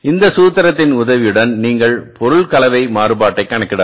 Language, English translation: Tamil, Now with the help of this formula you can calculate the material mix variance